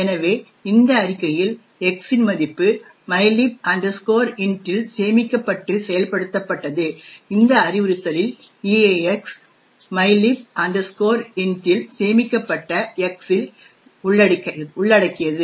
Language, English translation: Tamil, So, this statement where the value of X is stored in mylib int is executed in this instruction where EAX which comprises of X is stored in mylib int